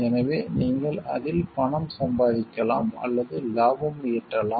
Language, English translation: Tamil, So, you can make money or profit out of it